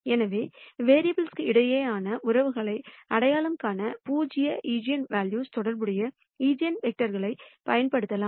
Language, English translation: Tamil, So, the eigenvectors corresponding to zero eigenvalue can be used to identify relationships among variables